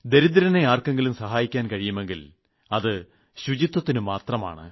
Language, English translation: Malayalam, The greatest service that can be rendered to the poor is by maintaining cleanliness